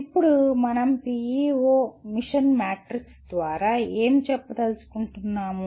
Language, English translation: Telugu, Now what do we want to call by PEO mission matrix